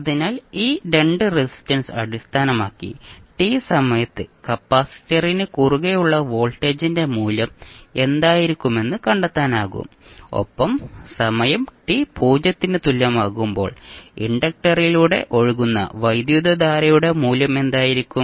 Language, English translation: Malayalam, So based on these 2 resistances we can find what will be the value of voltage across capacitor at time t is equal to 0 and what will be the value of current which is flowing through the inductor at time t is equal to 0